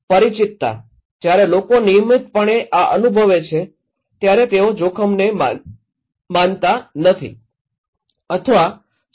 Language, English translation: Gujarati, Familiarity, when people are experiencing this in a regular basis they don’t believe or accept the risk